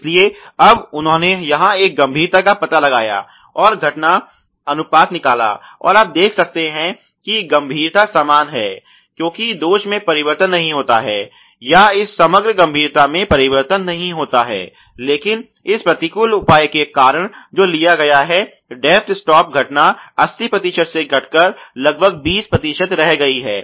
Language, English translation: Hindi, So, now, they have done a severity detection and occurrence ratio here and you see the severity is same because the defect does not get change or this overall severity does not get change, but the because of this counter measure which has been taken of the depth stop the occurrence has reduced from 80 percent to about 20 percent